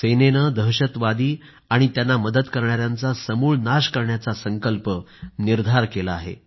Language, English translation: Marathi, The Army has resolved to wipe out terrorists and their harbourers